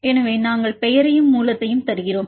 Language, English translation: Tamil, So, we give the name and the source